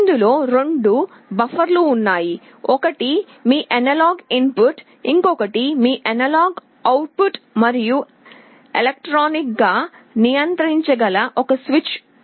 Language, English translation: Telugu, There are two buffers, this is your analog input, this is your analog output, and there is a switch which can be controlled electronically